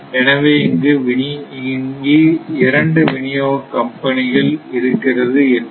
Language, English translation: Tamil, So, these are called and there are two distribution companies